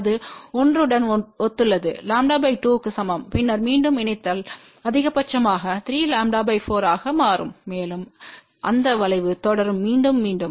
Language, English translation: Tamil, Which corresponds to l equal to lambda by 2 and then again coupling becomes maximum at 3 lambda by 4 and that curve will keep on repeating